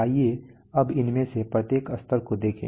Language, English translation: Hindi, Now let us see each of these levels